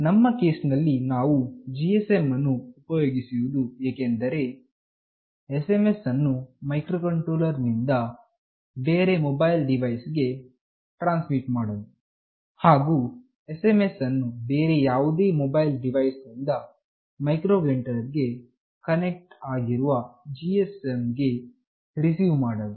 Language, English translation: Kannada, In our case, we have used GSM for transmitting SMS from the microcontroller to any other mobile device, and to receive the SMS from any other mobile device to the GSM that is connected with the microcontroller